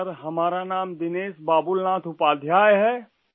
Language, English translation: Urdu, Sir, my name is Dinesh Babulnath Upadhyay